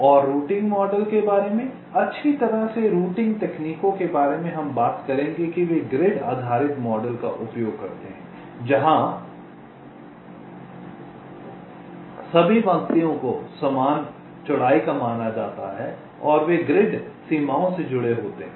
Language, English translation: Hindi, ok, and regarding routing models, well, most of ah, the routing techniques we shall talk about, they use a grid based model where all the lines are considered to be of equal with and they are aligned to grid boundaries, like this